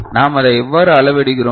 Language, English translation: Tamil, And how we measure it